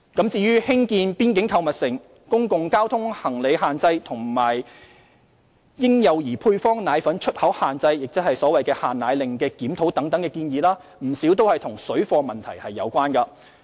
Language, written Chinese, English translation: Cantonese, 至於興建邊境購物城、公共交通行李限制和嬰幼兒配方奶粉出口限制，即所謂"限奶令"檢討等的建議，不少與水貨問題有關。, As regards the proposals of constructing boundary shopping malls imposing luggage restrictions on public transport and reviewing the restrictions on the export of infant and follow - up formulae quite many of them are related to problems caused by parallel trading